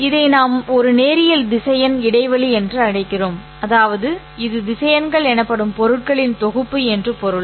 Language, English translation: Tamil, We call this as a linear vector space which simply means that it is a collection of objects known as vectors